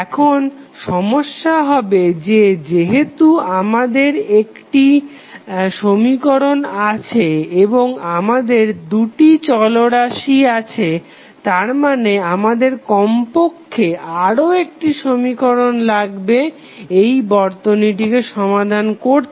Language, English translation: Bengali, Now, the problem would be that since we have only one equation and we have two variables means we need at least one more equation to solve this circuit